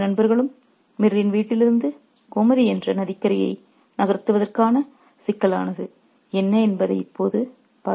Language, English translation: Tamil, Now let's see what is the complication here which makes the two friends move from Mir's home to Gomaty River Bank